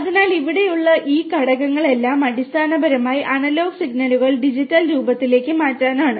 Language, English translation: Malayalam, So, all these components here are basically to change the analog signals to digital form